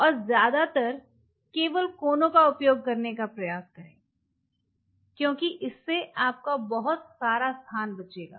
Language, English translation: Hindi, And try to use only mostly the corners, because that will be a let us say will lot of your space